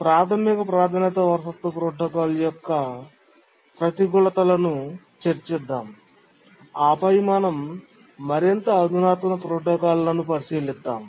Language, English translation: Telugu, Now let's first identify these disadvantages of the basic priority inheritance protocol, then we'll look at more sophisticated protocols